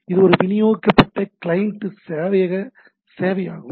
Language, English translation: Tamil, So, it is a HTTP client server service